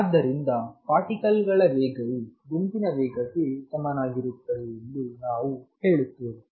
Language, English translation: Kannada, So, we say that the particle velocity of particle speed is the same as the group velocity